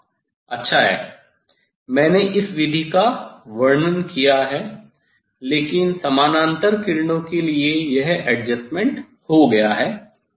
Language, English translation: Hindi, yes, nice, I describe about this method, but this adjustment for parallel rays is done